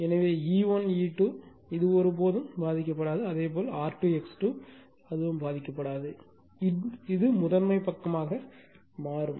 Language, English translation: Tamil, So, E 1 E 2 this is show you will never be affected not R 2 X 2 as well as this load also will transform to the primary side